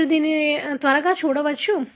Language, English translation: Telugu, You can see that quickly